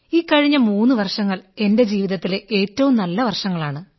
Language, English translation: Malayalam, three years have been the best years of my life